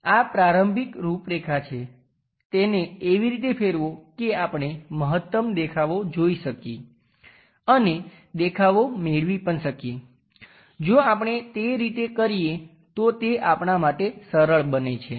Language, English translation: Gujarati, This is the initial configuration rotate it such a way that maximum views we can see and constructing views also becomes easy for us if we can do it in that way